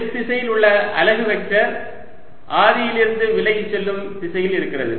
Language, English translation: Tamil, the unit vector in the s direction is going to be in the direction pointing away from the origin